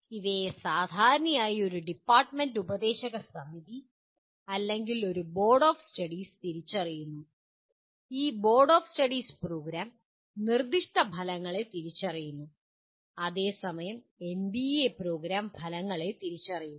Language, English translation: Malayalam, And these are generally are identified by a department advisory board or a Board of Studies and this Board of Studies identifies the Program Specific Outcomes and whereas NBA has identifies the Program Outcomes